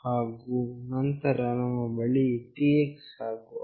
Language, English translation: Kannada, And then we have TX and RX